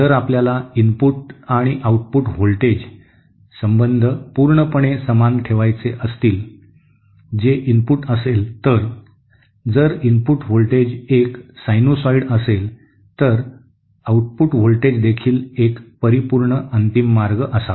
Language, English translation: Marathi, If we want the input and output voltage relationships to remain perfectly same that are to be the input, if the input voltage is a sinusoid then the output voltage should also be a perfect final way